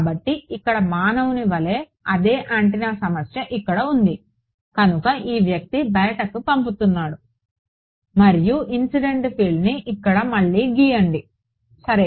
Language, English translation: Telugu, So, the same antenna problem over here as human being over here right; so, this guy is sending out let us say and incident field let us redraw it over here ok